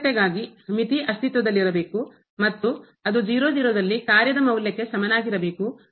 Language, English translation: Kannada, For continuity, the limit should exist and it should be equal to the value at